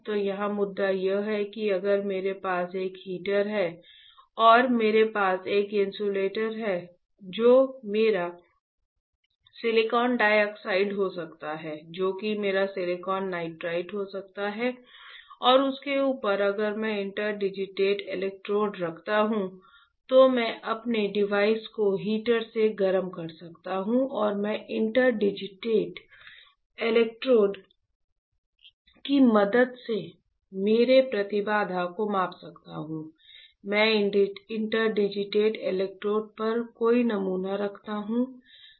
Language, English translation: Hindi, So, the point here is that if I have a heater and I have a insulator which can be my silicon dioxide, which can be my silicon nitride and over that if I place interdigitated electrodes, then I can heat my device with the heater and I can measure my impedance with the help of interdigitated electrodes, when I place any sample on the interdigitated electrodes, you got it